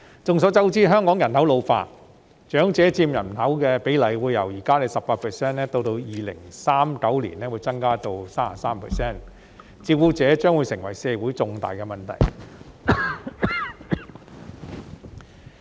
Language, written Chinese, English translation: Cantonese, 眾所周知，香港人口老化，長者佔人口比例會由現時的 18% 增加至2039年的 33%， 照顧長者將會成為社會的重大問題。, It is well known that the population is ageing in Hong Kong . The proportion of elderly persons in the total population is expected to rise from the current 18 % to 33 % by 2039 so elderly care will become a major issue in society